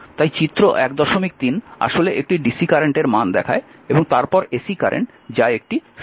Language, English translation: Bengali, 3 actually shows the values of a dc current and then sine sudden ac current